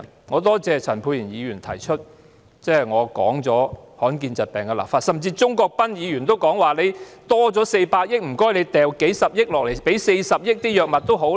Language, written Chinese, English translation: Cantonese, 我感謝陳沛然議員提到，我建議就保障罕見疾病的病人權益立法；鍾國斌議員也提議，在400億元盈餘中撥出40億元購買藥物。, I thank Dr Pierre CHAN for mentioning my legislative proposal to protect the rights and interests of rare disease patients . Mr CHUNG Kwok - pan has also proposed to allocate 4 billion from the surplus of 40 billion for purchasing medicine